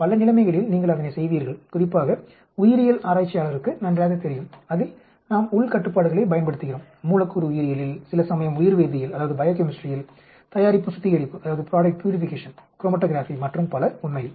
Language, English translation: Tamil, In many situations, you always do that especially biologist know very well where we use internal controls molecular biology some times in biochemistry, product purification, chromatography and so on actually